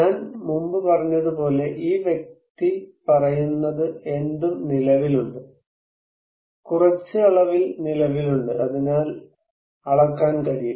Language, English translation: Malayalam, As I said before, this person is saying that anything that exists; exists in some quantity and can, therefore, be measured